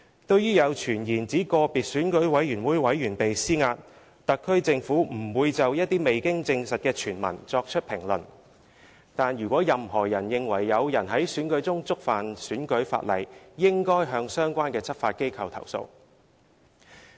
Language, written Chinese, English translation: Cantonese, 對於有傳言指個別選舉委員被施壓，特區政府不會就一些未經證實的傳聞作出評論；但如果任何人認為有人在選舉中觸犯選舉法例，應該向相關執法機構投訴。, Regarding the rumours that individual EC members are being pressurized the SAR Government will not comment on unsubstantiated rumours but if any person thinks that someone has violated the election - related laws in an election he should lodge a complaint with the relevant law enforcement agencies